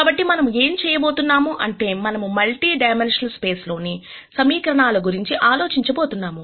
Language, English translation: Telugu, So, what we are going to do is we are going to think about the equations in multi dimensional space